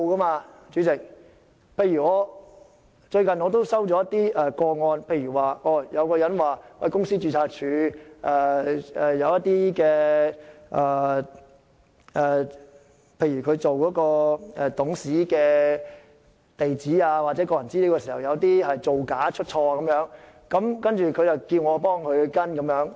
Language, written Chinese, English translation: Cantonese, 我最近也接獲一些個案，例如有人指公司註冊處記錄的一些董事地址或個人資料有造假或出錯的情況，要求我跟進。, I have recently received some cases in which people claimed for example that the records kept by the Companies Registry on the address or personal information of directors were false or wrong and they asked me to follow up